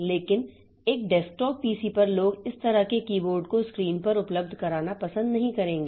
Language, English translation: Hindi, But on a desktop PC, people will not like to have such a keyboard available on the screen itself